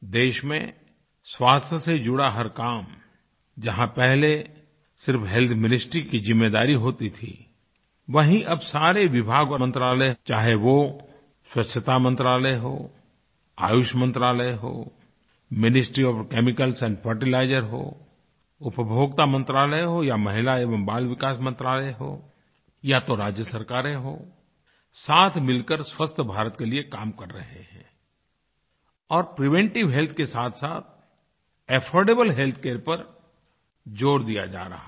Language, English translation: Hindi, But now, all departments and ministries be it the Sanitation Ministry or Ayush Ministry or Ministry of Chemicals & Fertilizers, Consumer Affairs Ministry or the Women & Child Welfare Ministry or even the State Governments they are all working together for Swasth Bharat and stress is being laid on affordable health alongside preventive health